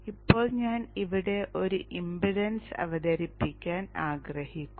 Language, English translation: Malayalam, Now I would like to introduce an impedance here